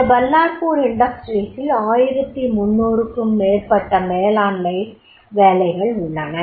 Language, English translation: Tamil, This Valapo industry is it has more than 1,300 management jobs are there